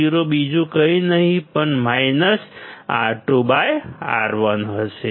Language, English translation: Gujarati, Vo will be nothing but minus R 2 by R 1